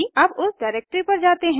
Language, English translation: Hindi, Lets go to that directory